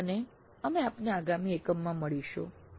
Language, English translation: Gujarati, Thank you and we will meet in the next unit